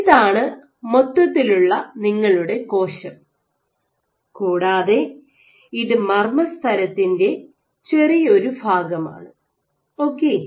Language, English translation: Malayalam, So, this is your entire thing is your cell and this is just a short section of the nuclear membrane ok